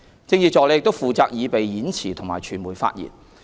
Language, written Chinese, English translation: Cantonese, 政治助理亦負責擬備演辭及傳媒發言。, Political Assistants are also tasked with preparing speeches and media statements